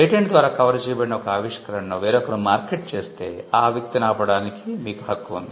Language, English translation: Telugu, If somebody else markets an invention that is covered by a patent you have the right to stop that person